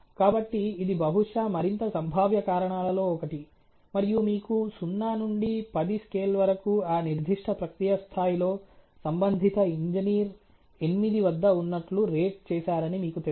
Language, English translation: Telugu, So, that is probably one of the more potential reasons, and you know 0 to 10 scale the concerned engineer at that particular process level is rated the occurrence to be at 8